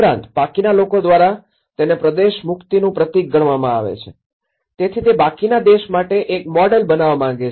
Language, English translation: Gujarati, Also, a symbol of emancipation for a region considered by the rest, so it want to be a model for the rest of the country